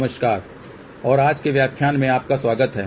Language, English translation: Hindi, Hello and welcome to today's lecture